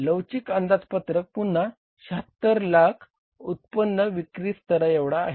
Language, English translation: Marathi, Flexible budget again for 7,600,000 level of the revenue